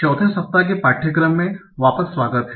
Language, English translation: Hindi, So, welcome back for the fourth week of the course